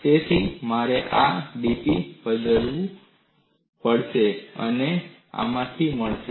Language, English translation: Gujarati, So, I will have to replace this dP and that I get from this